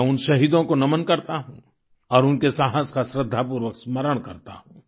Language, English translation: Hindi, I bow to those martyrs and remember their courage with reverence